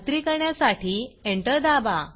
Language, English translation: Marathi, Press Enter to confirm